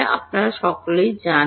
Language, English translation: Bengali, You all know it